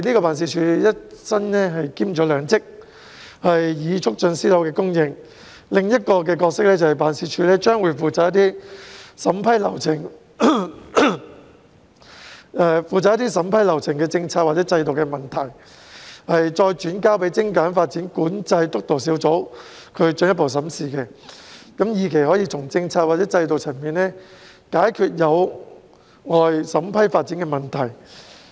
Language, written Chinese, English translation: Cantonese, 辦事處除了一身兼兩職促進私樓供應外，還有另一個角色，便是負責將涉及審批流程的政策或制度的問題，轉交給精簡發展管制督導小組進一步審視，以期從政策或制度的層面解決有礙審批發展的問題。, Apart from performing the two roles of promoting private housing supply the Office has another role of referring policy or institutional issues involving the approval process to the Steering Group on Streamlining Development Control for further review with a view to addressing problems impeding development approvals at the policy or institutional level